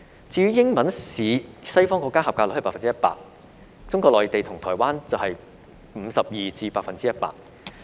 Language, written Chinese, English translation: Cantonese, 至於英文試，西方國家及格率是 100%； 中國內地和台灣則是 52% 至 100%。, For the English part of the examination the passing rate for the candidates from western countries was 100 % and 52 % to 100 % for those from Mainland China and Taiwan respectively